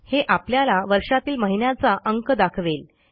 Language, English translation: Marathi, It gives the month of the year in numerical format